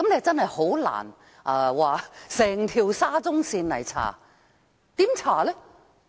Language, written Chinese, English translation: Cantonese, 真的很難調查整條沙中線，怎樣查？, It is really difficult to investigate the entire SCL; how can investigations be conducted?